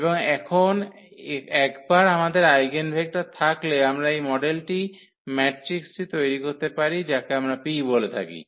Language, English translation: Bengali, And now once we have the eigenvectors we can formulate this model matrix which we call P